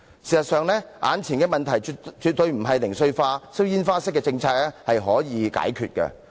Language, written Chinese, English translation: Cantonese, 事實上，眼前的問題絕非零碎化、放煙花式的政策可以解決得到。, In fact the current problems cannot be resolved at all by a fragmentary policy which works like shooting off fireworks